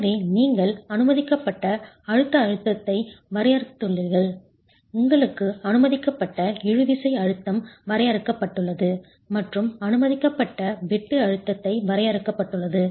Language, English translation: Tamil, So you have the permissible compressive stress defined, you have the permissible tensile stress defined and the permissible shear stress defined